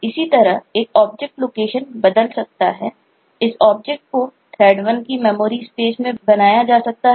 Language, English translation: Hindi, a object may have been created in this memory space, memory space of thread 1